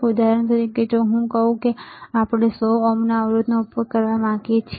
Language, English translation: Gujarati, For example, if I say that we want to use a resistor of 100 ohm